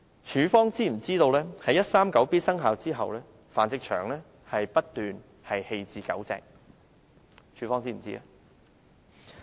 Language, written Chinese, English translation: Cantonese, 署方是否知悉在第 139B 章生效後，繁殖場不斷棄置狗隻？, Is AFCD aware of the unceasing abandonment of dogs by breeding farms since Cap . 139B took effect?